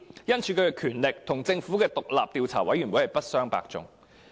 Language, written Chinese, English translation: Cantonese, 因此，其權力與政府的獨立調查委員會不相伯仲。, Thus its power is comparable to that of the Governments independent Commission of Inquiry